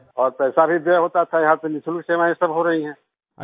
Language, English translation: Hindi, And money was also wasted and here all services are being done free of cost